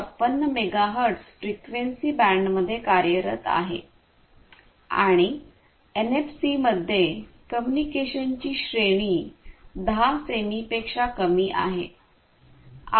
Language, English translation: Marathi, 56 megahertz frequency band, and the range of communication in NFC is less than 10 centimeters